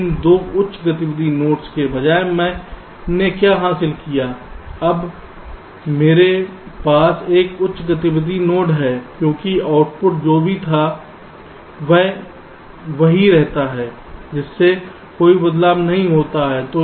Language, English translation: Hindi, instead of two high activity nodes, now i have a single high activity node because output, whatever it was, a, it remains same